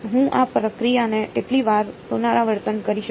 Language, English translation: Gujarati, How many times can I repeat this process